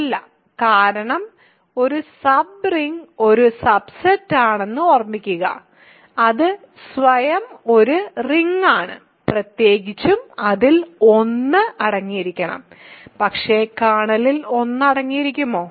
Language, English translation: Malayalam, It is not, because remember a sub ring is a subset which is a ring by itself in particular it is supposed to contain 1, but can the kernel contain 1